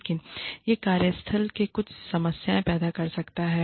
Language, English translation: Hindi, But, this can cause, some problems, in the workplace